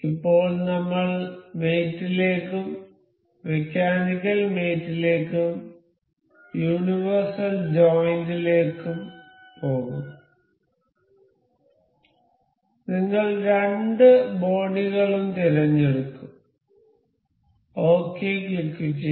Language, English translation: Malayalam, Now, I will go to mate then the mechanical mate and to universal joint, we will select the two bodies this and this click ok